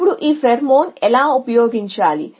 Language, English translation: Telugu, Now, how to the use is pheromone